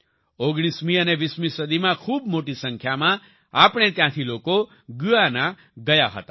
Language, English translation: Gujarati, In the 19th and 20th centuries, a large number of people from here went to Guyana